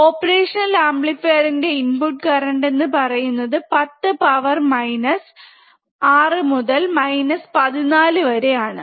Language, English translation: Malayalam, Op amps the input currents are very small of order of 10 is to minus 6 to 10 is to minus 14 ampere